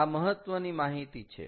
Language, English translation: Gujarati, this is an important piece of data